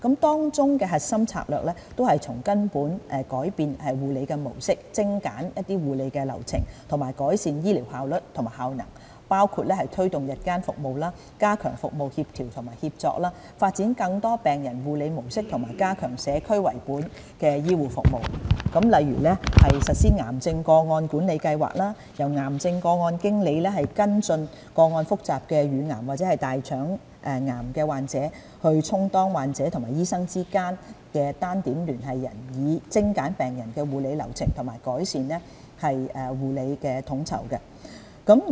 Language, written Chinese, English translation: Cantonese, 當中的核心策略，是從根本改變護理模式，精簡護理流程、改善醫療效率和效能，包括推動日間服務、加強服務協調和協作、發展更多病人護理模式及加強社區為本的醫護服務，例如實施癌症個案管理計劃，由癌症個案經理跟進個案複雜的乳癌或大腸癌患者，充當患者和醫生之間的單點聯繫人，以精簡病人的護理流程和改善護理統籌。, Core strategies to this will be a fundamental transformation in the mode of care delivery a streamlining of care processes and an improvement of care efficiency and effectiveness including promoting day services strengthening service coordination and collaboration developing more options for patient care and enhancing community - based care such as the implementation of the cancer case manager programme . Under the programme cases involving patients with complex breast cancer or colorectal cancer will be followed up by cancer case managers who will act as the single contact persons between these patients and their doctors thereby streamlining care processes for these patients and improving the coordination of care services